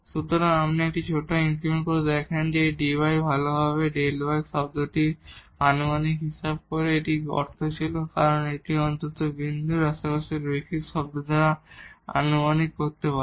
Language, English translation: Bengali, So, if you make a smaller increment then this dy is well approximating this delta y term and that was the meaning of that, if we can approximate by the linear term at least in the neighborhood of the point